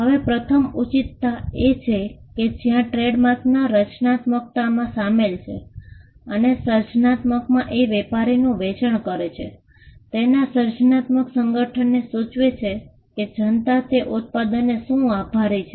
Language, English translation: Gujarati, Now, the first justification is that, there is creativity involved in trademarks and the creativity refers to the creative association of what a trader is selling with what the public would attribute to that product